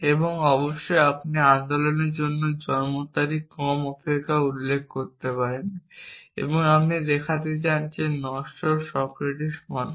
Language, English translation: Bengali, And off course, you may have as a date of birth less ignores that for the movement and you want it to show that mortal Socrates is true